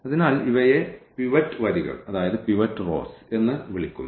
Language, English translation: Malayalam, So, we have these so called the pivot rows